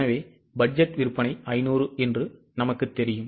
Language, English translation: Tamil, So, we know that budgeted sales are 500